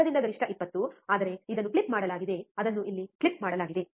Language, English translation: Kannada, Peak to peak is 20, but this is clipped it is clipped here